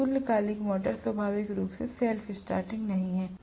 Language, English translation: Hindi, So synchronous motor is not inherently self starting